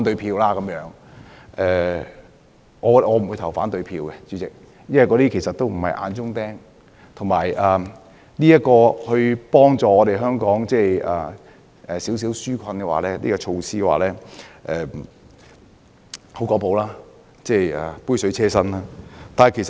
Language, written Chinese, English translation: Cantonese, 主席，我不會投反對票，因為這些人並不是眼中釘，而且這項幫助香港紓困的小措施，其實只是有比沒有好、杯水車薪。, Chairman I will not vote down the amendment because we do not hate them . Besides this small measure is inadequate in relieving Hong Kong people of their burden . Having one is better than having none